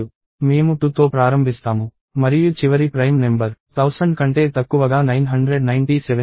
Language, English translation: Telugu, I start with 2 and the last prime number less than thousand seems to be 997